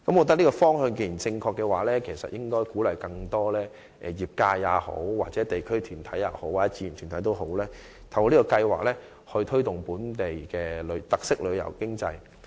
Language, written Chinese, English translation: Cantonese, 既然這是正確的方向，當局便應鼓勵更多業界人士、地區團體和志願團體透過該計劃，推動本地特色旅遊經濟。, Since it is the right direction the authorities shall encourage more practitioners from the sector local groups and voluntary organizations to promote local characteristic tourism economy through the Scheme